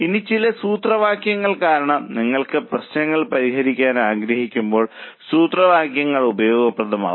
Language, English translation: Malayalam, Now some of the formulas because when you want to solve problems the formulas will come handy